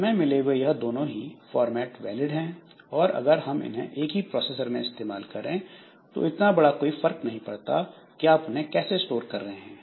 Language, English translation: Hindi, So we have got both the formats are valid and you see that when you are using it on the same processor, it does not make any difference